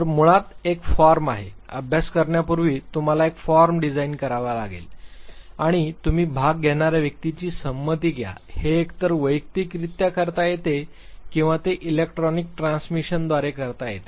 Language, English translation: Marathi, So, basically there is a form, you have to design a form before you are conducting study and you obtain the consent of the individuals who are participating, this can be done either in person or it could be done through electronic transmission